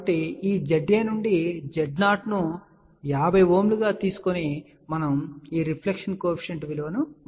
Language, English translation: Telugu, So, from this Z A and 50 Ohm of Z 0, we have calculated reflection coefficient of this value and VSWR of 3